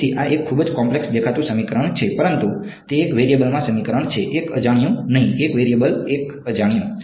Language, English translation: Gujarati, So, this is a very complicated looking equation, but it is an equation in one variable; one unknown not one variable one unknown x